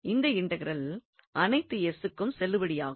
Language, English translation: Tamil, So, this integral will be valid for all these s